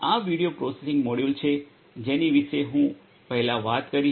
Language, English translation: Gujarati, This is this video processing model that I was talking about earlier